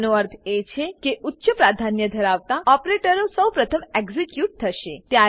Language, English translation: Gujarati, This means that the operator which has highest priority is executed first